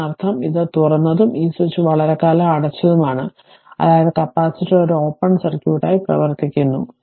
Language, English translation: Malayalam, That means, this is this was open and this switch was closed for long time, that means capacitor is acting as an your open circuit